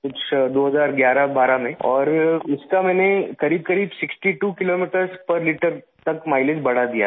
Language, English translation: Hindi, Sometime in 201112, I managed to increase the mileage by about 62 kilometres per liter